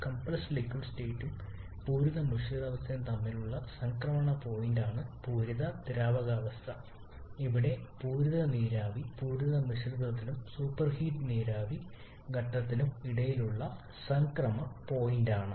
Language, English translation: Malayalam, The saturated liquid state is the transition point between the compressed liquid state and the saturated mixture state where the saturated vapour is a transition point between the saturated mixture and the super heated vapour stage